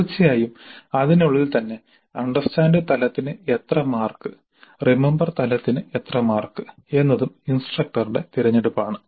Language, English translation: Malayalam, Of course within that how many marks to understand level, how many marks to the remember level is also the instructor